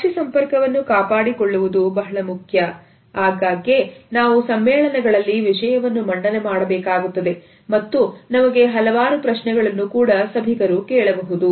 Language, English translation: Kannada, Maintaining an eye contact is very important often we have to make presentations during conferences and we may be asked several questions